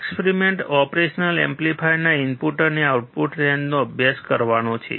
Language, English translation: Gujarati, The experiment is to study input and output range of operational amplifier